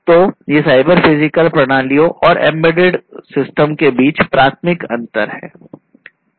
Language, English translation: Hindi, So, these are the differences, primary differences, between cyber physical systems and embedded systems